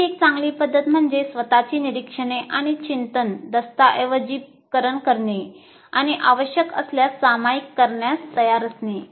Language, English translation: Marathi, Now, another good practice is to document your own observations and reflections and be willing to share when required